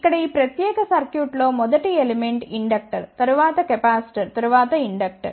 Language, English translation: Telugu, In this particular circuit here the first element is inductor, then capacitor then inductor